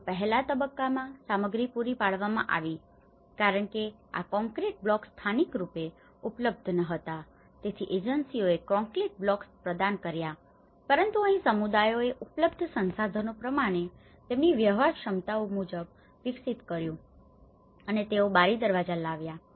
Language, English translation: Gujarati, Then in stage two, this is where the completion by owners so, communities also have provided so, in the earlier stage the materials were provided because these concrete blocks were not available locally so the agencies have provided the concrete blocks but in here the communities as per their feasibilities as per their available resources they have developed they brought the doors and windows